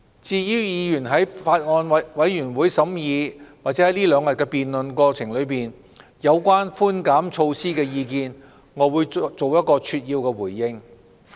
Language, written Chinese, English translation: Cantonese, 至於議員在法案委員會審議或在這兩天的辯論過程中，提出有關寬減措施的意見，我會作一個扼要的回應。, With regard to the views expressed by Members on the tax reduction measures during the Bills Committees deliberations or during the debate in the past two days I will make a brief response